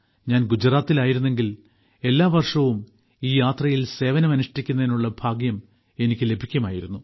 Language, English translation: Malayalam, I was in Gujarat, so I also used to get the privilege of serving in this Yatra every year